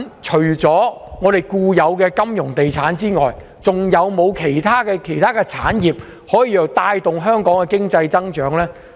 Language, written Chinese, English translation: Cantonese, 除了固有的金融業及地產業外，是否還有其他產業可以帶動香港的經濟增長？, Apart from the established industries of finance and real estate are there any other industries which can stimulate economic growth in Hong Kong?